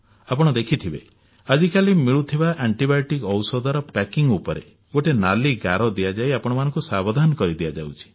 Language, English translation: Odia, You must have seen, these days, on the antibiotic medicine strips there is a red line to make you aware